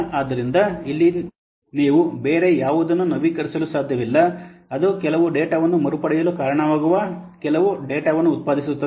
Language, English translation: Kannada, So here you cannot what update anything else only that produces for some data, it results in some data retrieval